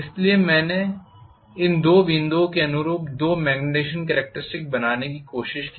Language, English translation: Hindi, So if I tried to draw the two magnetization curves corresponding to these two points